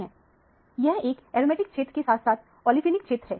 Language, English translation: Hindi, This is an aromatic region as well as the olefinic region